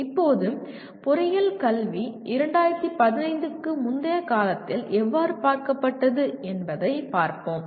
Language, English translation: Tamil, Now, let us look at how is the engineering education is looked at until recently that is prior to 2015